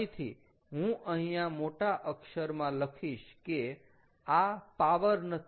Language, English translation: Gujarati, ok, i will write down again in capitals, not power